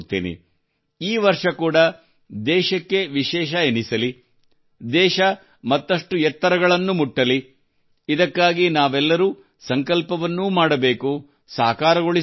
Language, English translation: Kannada, May this year also be special for the country, may the country keep touching new heights, and together we have to take a resolution as well as make it come true